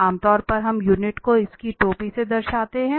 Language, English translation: Hindi, Okay, so this is usually we denote the unit by its hat